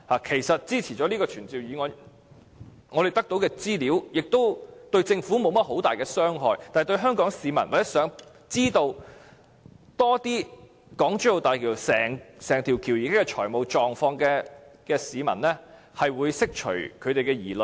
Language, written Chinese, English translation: Cantonese, 其實，通過這項議案後所得的資料，對政府並沒有很大傷害，但對香港市民或希望知道有關港珠澳大橋整體財務狀況更多資料的市民來說，這可釋除他們的疑慮。, Actually the information to be obtained by means of this motion will not do much harm to the Government but will be able to dispel the doubts and worries of the citizens of Hong Kong―citizens who wish to have more information on the whole financial situation of HZMB